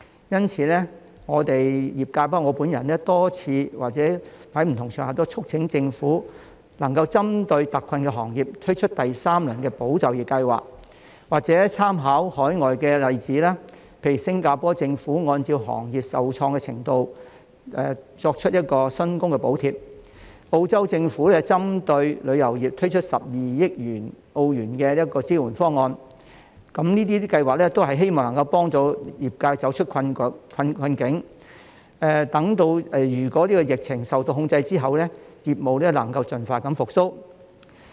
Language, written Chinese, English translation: Cantonese, 因此，我們業界包括我本人已多次在不同場合促請政府針對特困的行業，推出第三輪"保就業"計劃，或參考海外的例子，例如新加坡政府按照行業受創的程度作出薪金補貼、澳洲政府針對旅遊業推出12億澳元的支援方案，這些計劃均希望能夠幫助業界走出困境，待疫情受控制後業務能夠盡快復蘇。, For this reason our industry myself included have repeatedly urged the Government on various occasions to introduce the third tranche of ESS targeting industries in exceptional difficulties or draw reference from overseas examples . For example the Singaporean Government provided wage subsidies according to the degree of damage suffered by various industries; the Australian Government introduced an A1.2 billion support scheme for the tourism industry . These schemes aim at helping the industry get out of the plight and recover speedily once the epidemic comes under control